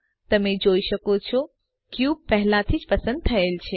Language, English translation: Gujarati, As you can see, the cube is already selected